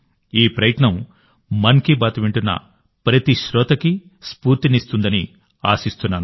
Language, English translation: Telugu, I hope this effort inspires every listener of 'Mann Ki Baat'